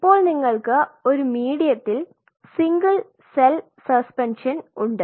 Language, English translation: Malayalam, So, you have a single cell suspension in a medium